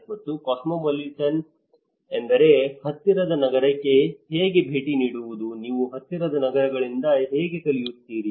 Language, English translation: Kannada, And cosmopolitaness is how visiting the nearest city, how you learn from the nearest cities